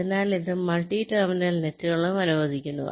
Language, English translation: Malayalam, so this allows multi terminal nets also